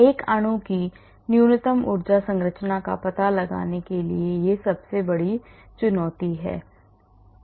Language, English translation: Hindi, that is the biggest challenge in finding out the minimum energy conformation of a molecule